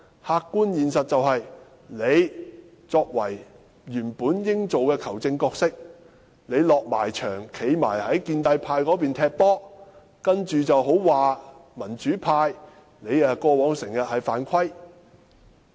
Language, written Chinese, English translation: Cantonese, 客觀現實就是，你原本應該擔任球證的角色，但現在你已走進球場，站在建制派的一方，說民主派過往經常犯規。, The truth is that you are supposed to be the referee but you have become one of the pro - establishment players in the pitch and you even accuse the pro - democracy camp of foul play